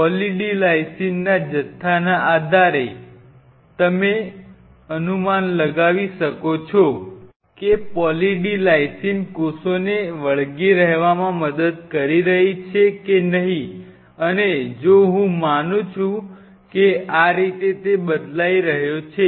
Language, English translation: Gujarati, Based on the amount of Poly D Lysine you can predict whether the Poly D Lysine is helping the cells to adhere or not helping the cells to adhere and as much if I assume that this is how the dose is changing